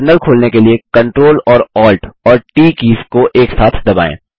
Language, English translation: Hindi, To open a Terminal press the CTRL and ALT and T keys together